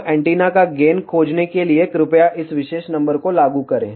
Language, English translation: Hindi, So, please apply this particular number to find the gain of the antenna